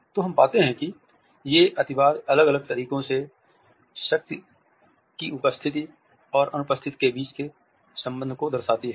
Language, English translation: Hindi, So, we find that these extremities suggest the relationship between the power and the absence of power in different ways